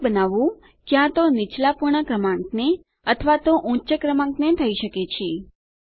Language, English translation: Gujarati, Rounding off, can also be done to either the lower whole number or the higher number